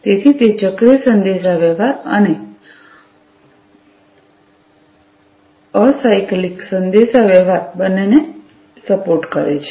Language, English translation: Gujarati, So, it supports both cyclic communication and acyclic communication